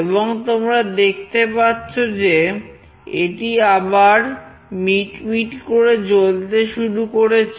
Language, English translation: Bengali, And you can see that it has started to blink again,